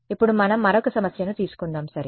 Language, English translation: Telugu, Now let us take another problem ok